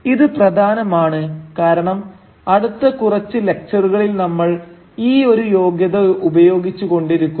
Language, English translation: Malayalam, And, this is important because for the next few lectures we will be using this qualifier very often